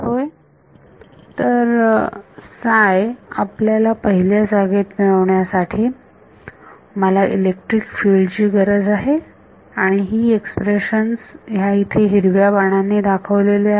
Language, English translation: Marathi, Yeah so, to get psi in the first place, I need electric fields and this expression over here in the green arrow